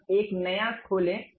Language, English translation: Hindi, Now, open a new one